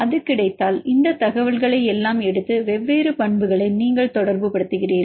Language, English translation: Tamil, If it is available then take all this information and you relate the different properties